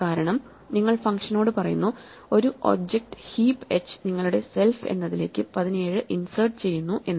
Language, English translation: Malayalam, It is a name to itself because you are telling a function an object heap h insert 17 into your ‘self’